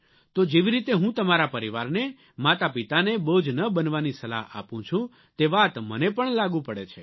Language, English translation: Gujarati, Just as I advise your parents not to be burdensome to you, the same applies to me too